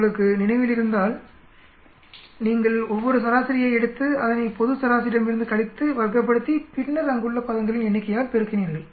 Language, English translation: Tamil, if you remember you take each of the average, subtract it from the global average, square it and then multiply by the number of terms there